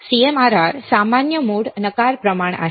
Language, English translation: Marathi, CMRR is common mode rejection ratio right